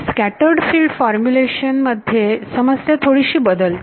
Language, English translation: Marathi, In the scattered field formulation, the problem changes a little bit